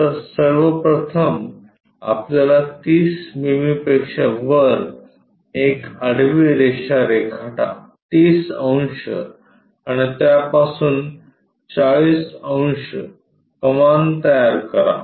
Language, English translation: Marathi, So, first of all we have to construct above 30 mm a horizontal line 30 degrees and from there 40 degrees arc to make it b’